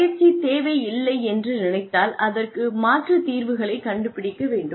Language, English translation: Tamil, If there is no training need, then one needs to find alternative solutions